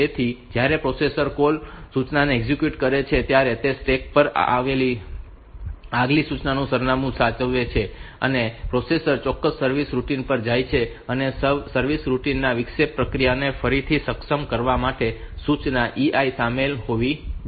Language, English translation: Gujarati, So, when the processor execute the call instruction it saves the address of the next instruction on the stack the processor jumps to the specific service routine and the service routine must include the instruction E I to re enable the interrupt process